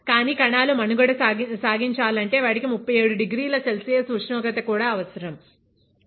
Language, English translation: Telugu, But then for cells to survive, they also need 37 degree Celsius temperature